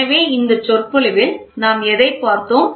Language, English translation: Tamil, So, in this lecture so, what all did we see